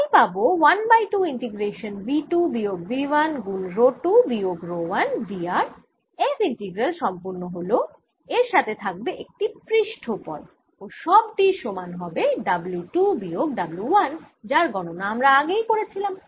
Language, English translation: Bengali, so i'll get a one half integration v two minus v one times rho two minus rho one d r f integral has been completed plus a surface term and this must equal w two minus w one